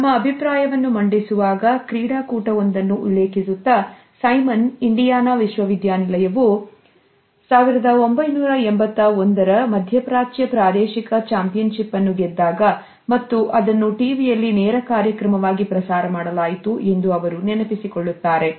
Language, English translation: Kannada, In the course of her argument she has quoted from a particularly sports event, when Indiana university had won the 1981 Middle East regional championship and it was shown on the TV to a live audience